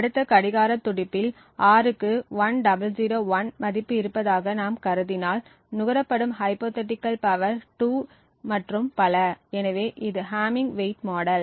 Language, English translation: Tamil, In the next clock pulse let us if we assume that R has a value of 1001 then the hypothetical power consumed is 2 and so on, so this is the hamming weight model